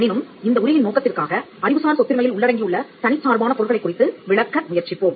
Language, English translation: Tamil, But for the purpose of this lecture, we will try to explain the independent ingredients that constitute intellectual property rights